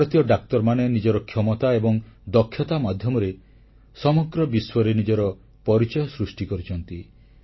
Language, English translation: Odia, Indian doctors have carved a niche for themselves in the entire world through their capabilities and skills